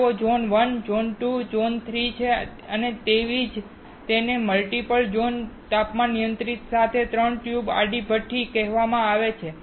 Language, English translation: Gujarati, They are Zone 1, Zone 2 and, Zone 3, and that is why it is called three tube horizontal furnace with multi zone temperature control